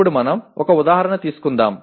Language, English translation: Telugu, Now let us take an example